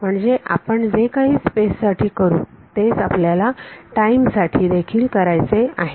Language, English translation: Marathi, So, whatever we do for space is what we will do for time